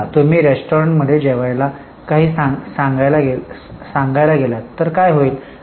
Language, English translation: Marathi, Suppose you go to some restaurant to have, say, some lunch